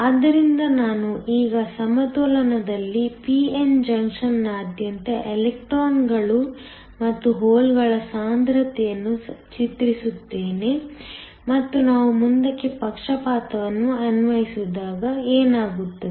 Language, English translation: Kannada, So, let me now draw the concentration of the electrons and holes across the p n junction in equilibrium and what happens when we apply a forward bias